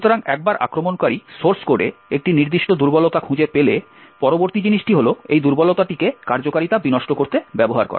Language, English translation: Bengali, So, once he has found a particular vulnerability in the source code, the next thing is to use this vulnerability to subvert the execution